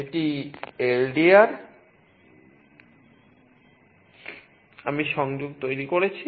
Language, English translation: Bengali, This is the LDR; I have made the connection